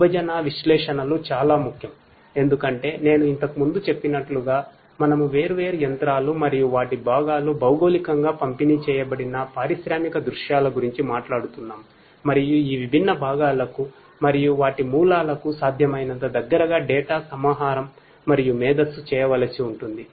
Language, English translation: Telugu, Distributed analytics is very important because as I said earlier we are talking about industrial scenarios where different machines and their components are all geo distributed and some kind of data aggregation and intelligence will have to be performed as close as possible to these different components and their sources of origination